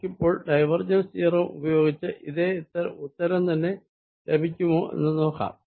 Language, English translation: Malayalam, let us now apply divergence theorem and see if this gives the same answer